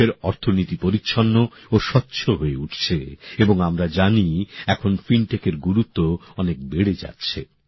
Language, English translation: Bengali, Through this the economy of the country is acquiring cleanliness and transparency, and we all know that now the importance of fintech is increasing a lot